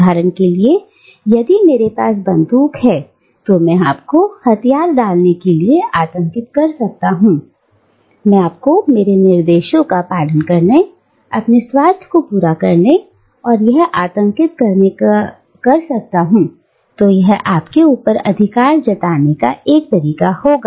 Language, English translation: Hindi, Now, for instance, if I have a gun, and I can terrorise you into submission, I can terrorise you into obeying my instructions, and fulfilling my self interest, then that will be one way of asserting my authority over you